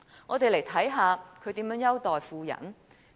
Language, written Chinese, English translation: Cantonese, 我們看看他如何優待富人。, Let us examine how he panders to the rich